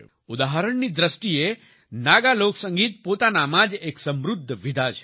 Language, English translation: Gujarati, For example, Naga folk music is a very rich genre in itself